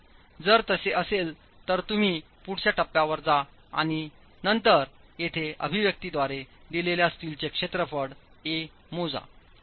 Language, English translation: Marathi, So, if it is so, you proceed to the next step and then calculate the area of steel, calculate the area of steel corresponding to an A given by the expression here